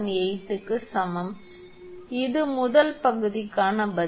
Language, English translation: Tamil, 18, this is the answer for the part one